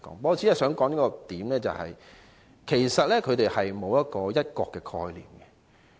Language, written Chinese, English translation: Cantonese, 我只想指出一點，就是他們沒有"一國"的概念。, I only wish to raise a point that is they do not have the concept of one country